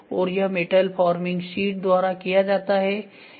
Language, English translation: Hindi, And this is done by metal forming sheet